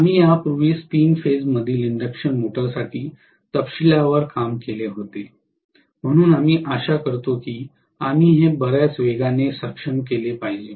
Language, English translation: Marathi, We had already done for three phase induction motor this in detail, so hopefully we should be able to do it quite fast